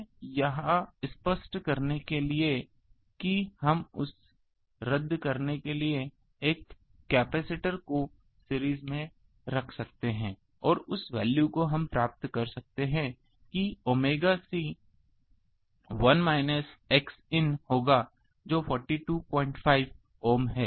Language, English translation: Hindi, So, to nullify that we can put a capacitor in series to cancel that and, that value we can obtain that 1 by omega C will be minus X in that is minus 42